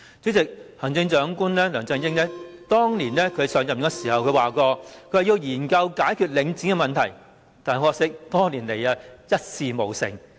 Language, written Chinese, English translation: Cantonese, 主席，行政長官梁振英當年上任時曾說要研究解決領展的問題，但很可惜，多年來一事無成。, President Chief Executive LEUNG Chun - ying said when assuming office that studies would be conducted to solve the problem concerning Link REIT but much to our regret nothing has been achieved over the years